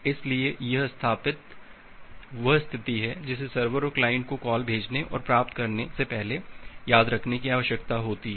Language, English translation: Hindi, So, this established is the state that the server and the client need to remember before making the send call and the received call